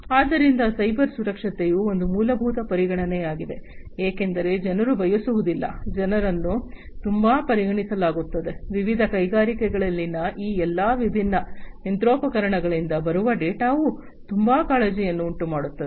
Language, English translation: Kannada, So, cyber security is a very prime fundamental consideration, because people do not want to, people are very much considered, you know very much concerned that the data that are coming from all these different machinery in their different industries